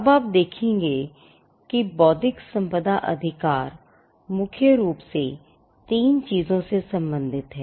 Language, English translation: Hindi, Now, you will find that intellectual property rights deals with largely 3 things